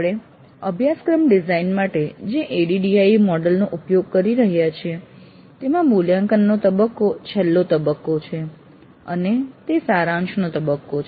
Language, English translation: Gujarati, In the ID model that we have been using for the course design, the evaluate phase is the last phase and summative phase